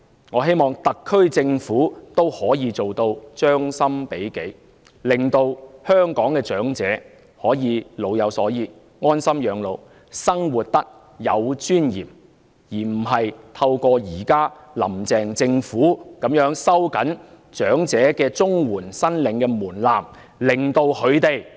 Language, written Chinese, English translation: Cantonese, 我希望特區政府亦可以做到將心比己，令香港的長者可以老有所依，安心養老，生活得有尊嚴，而不是如現時"林鄭"政府般，透過收緊申領長者綜援的門檻，令他們受到極大的侮辱。, I hope the SAR Government can also put itself in the shoes of the people so that elderly people in Hong Kong can have a sense of security spend their twilight years at ease and live with dignity instead of inflicting great insult on them by tightening the eligibility threshold of elderly CSSA just like what the Carrie LAM Administration has done now